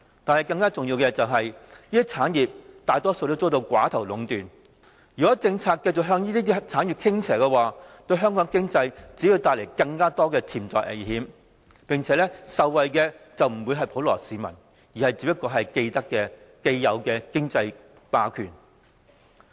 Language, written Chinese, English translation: Cantonese, 但是，更加重要的是，這些產業大多遭到寡頭壟斷，如果政策繼續向這些產業傾斜的話，對香港經濟只會帶來更多潛在危險，並且受惠的不是普羅市民，而是現有的經濟霸權。, But more importantly these industries are mostly dominated by a few oligopolists . If our policies continue to slant towards them it will only generate more potential risks to Hong Kongs economy and bring benefits not to the general public but to existing economic giants only